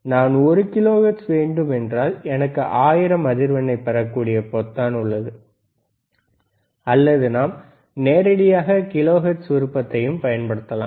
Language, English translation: Tamil, If I want to have one kilohertz, then I will have 1 and then 3 times 000, or we can directly use kilohertz option also